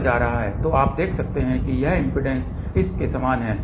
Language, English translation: Hindi, So, you can see that this impedance is same as this